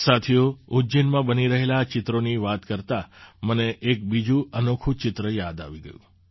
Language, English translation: Gujarati, Friends, while referring to these paintings being made in Ujjain, I am reminded of another unique painting